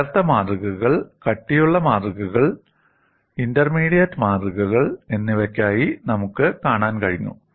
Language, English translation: Malayalam, We have been able to see for thin specimens, thick specimens as well as intermediate specimens